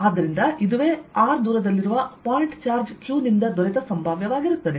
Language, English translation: Kannada, so this is the potential due to a point charge q at a distance r from it